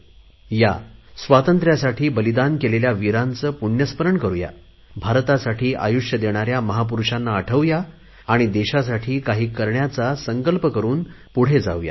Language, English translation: Marathi, I invite you once again, come, let us remember and salute our great freedom fighters, who sacrificed their lives for India and let us move ahead with the pledge to do something for our nation